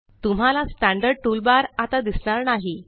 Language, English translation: Marathi, You see the Standard toolbar is no longer visible